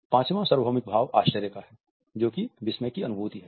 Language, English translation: Hindi, The fifth universal emotion is that of surprise, which is a sudden feeling of astonishment